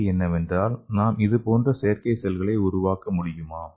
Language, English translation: Tamil, So the question is can we make similar kind of artificial cells